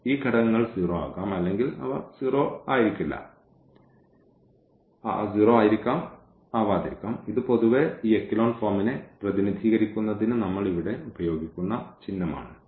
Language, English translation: Malayalam, So, this can be 0 these elements or they may not be 0 that is the symbol we are using here just to represent this echelon form in general